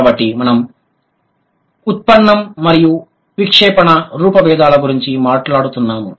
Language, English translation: Telugu, So, we were talking about derivational and inflectional